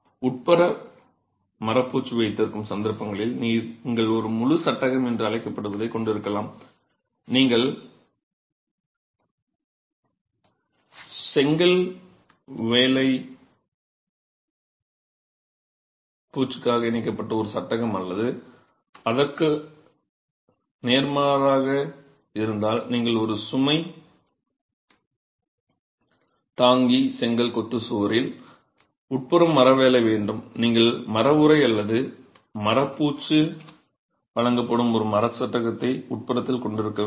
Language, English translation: Tamil, And of course in cases where you have an interior wood finish you might have what is called an entire frame that is attached, a frame onto which the brickwork is attached for a brick finish on the exterior or vice versa if you have timber work on the interior on a load bearing brick masonry wall, you would have a timber frame inside onto which timber sheathing or timber finish is provided